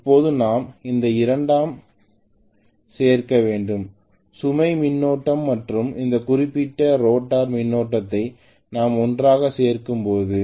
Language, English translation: Tamil, Now I have to add these two, the no load current and this particular rotor current when I add them together, so let us say this is my no load current